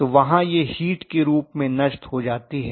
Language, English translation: Hindi, So it will be dissipated in the form of heat there